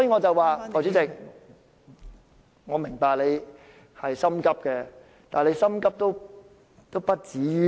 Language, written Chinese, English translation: Cantonese, 代理主席，我明白你很心急，但也不急於一時。, Deputy President I understand that you are impatient but there is no harm waiting a bit longer